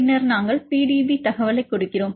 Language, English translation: Tamil, So, you can we give the PDB id